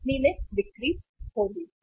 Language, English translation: Hindi, Company lost the sale